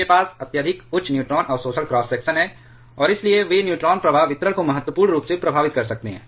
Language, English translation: Hindi, They have extremely high neutron absorption cross section, and therefore, they can significantly affect the neutron flux distribution